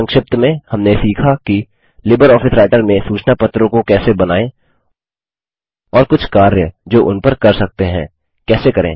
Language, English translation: Hindi, To summarise, we learned about how to Create Newsletters in LibreOffice Writer and few operations which can be performed on them